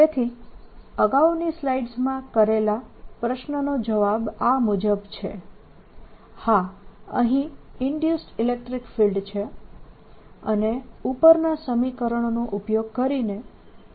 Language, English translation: Gujarati, so to answer that i placed in the previous slide is yes, there is an induced electric field and can be calculated using the formula